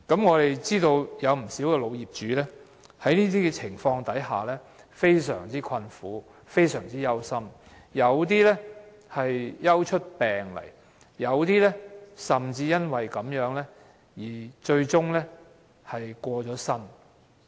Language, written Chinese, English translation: Cantonese, 我們知道有不少老業主在這些情況下，感到非常困苦、非常憂心，有些更憂出病來，甚至因此而最終過身。, We know that many elderly owners feel extremely troubled and worried in these circumstances where some have fallen ill because of the worries and some have eventually died